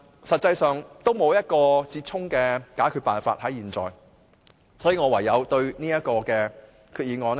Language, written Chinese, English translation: Cantonese, 實際上，現在還沒有一個折衷辦法，所以，我唯有對這項決議案投棄權票。, But there is not yet any compromise solution . So I have no alternative but to abstain from voting on this resolution